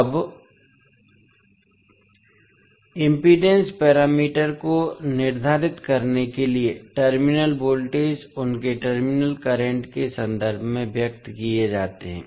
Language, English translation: Hindi, Now, to determine the impedance parameters the terminal voltages are expressed in terms of their terminal current